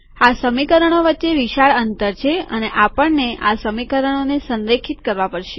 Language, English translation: Gujarati, There is a large gap between the two equations and also we may want to align the equations